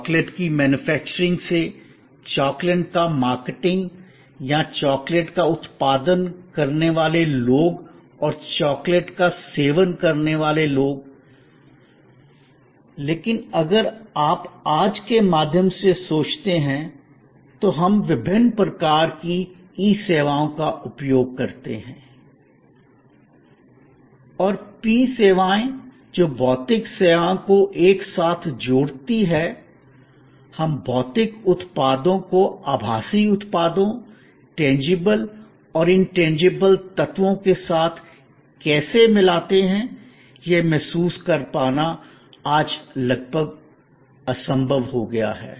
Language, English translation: Hindi, The manufacturing of the chocolate from the marketing of the chocolate or the people who produce chocolates and people who consume chocolates, but if you think through the way today we use various kinds of e services and p services that physical services together, how we inter mix physical products with virtual products, tangible and intangible elements, we will able to realize that it has become almost impossible today